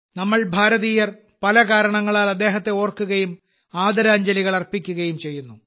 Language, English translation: Malayalam, We Indians remember him, for many reasons and pay our respects